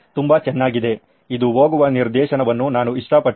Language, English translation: Kannada, Very nice, I liked the direction that this is going